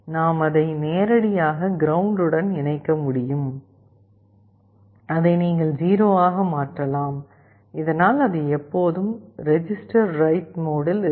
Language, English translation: Tamil, We can directly connect it to ground you can make it 0 so that, it is always in the register write mode